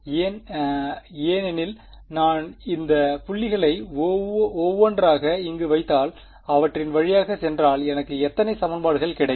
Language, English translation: Tamil, Why because if I put these points in over here one by one if I go through them how many equations will I get